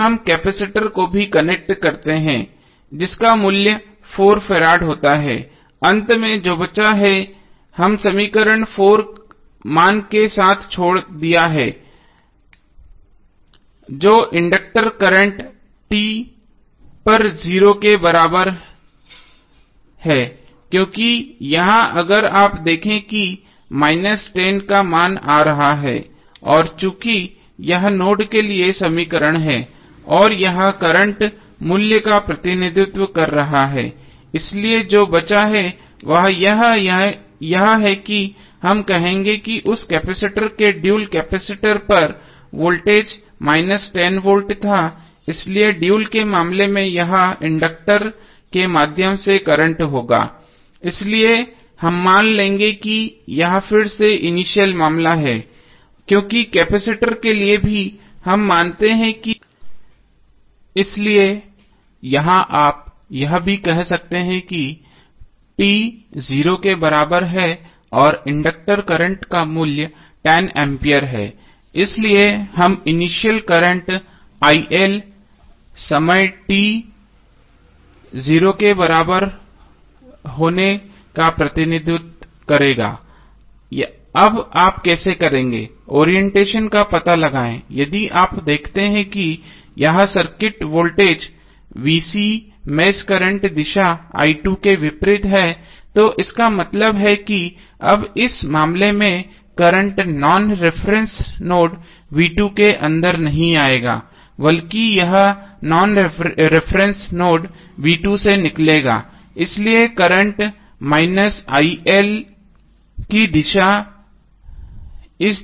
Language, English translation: Hindi, So we connect the capacitor also now, having value of 4 farad, finally what is left, we left with the equation 4 value that is inductor current at t is equal to 0, because here if you see the value of minus 10 is coming and since this is the equation for node and this is representing the current value so what is left is that we will say that the dual of that is the capacitor was the voltage across the capacitor was minus 10 volt, so in case of dual this would be current through the inductor, so we will assume that this is again the initial case because for capacitor also we assume that voltage across the capacitor is at initial time t is equal to 0, so here also you can say that the value is inductor current at t is equal to 0 and value is 10 ampere, so we will represent the initial current il at time t is equal to 0, now how you will, find out the orientation, again if you see this circuit voltage VC is opposite of the mesh current direction i2 so that means now in this case the current would not go inside the non reference node v2 but it will come out of the non reference node v2, so that is why the direction of current il is in this direction